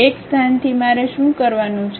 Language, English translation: Gujarati, From one location what I have to do